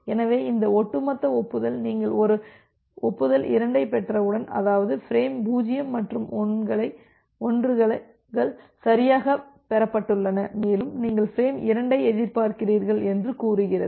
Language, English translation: Tamil, So this cumulative acknowledgement says that well, once you are receiving an acknowledgement 2, that means, frame 0’s and 1’s have been received correctly and you are expecting for frame 2